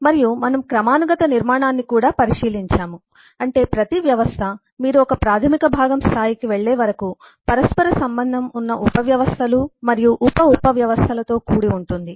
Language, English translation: Telugu, and, uh, we have also taken a brief look into hierarchic structure, that is, we say that, eh, every system is eh composed of interrelated subsystems and sub sub systems, till you go to an elementary component level